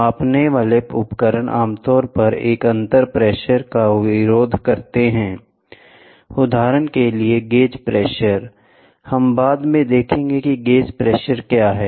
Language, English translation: Hindi, Measuring devices usually resist a differential pressure, for example, gauge pressure we will see what is gauge pressure later